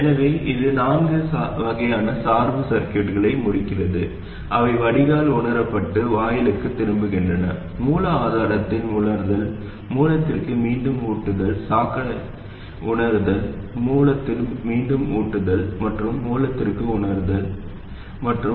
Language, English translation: Tamil, So, this concludes the four types of bias circuits, that is sensing at the drain, feeding back to the gate, sensing at the source, feeding back to the source, sensing at the drain feeding back to the source and sensing at the source and feeding back to the gate